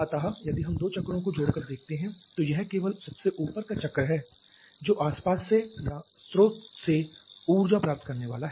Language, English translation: Hindi, So, if we see the two cycles in combination it is only the topping cycle which is going to receive energy from the surrounding or from the source